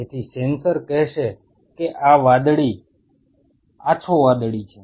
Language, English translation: Gujarati, So, the sensor will tell this is blue light blue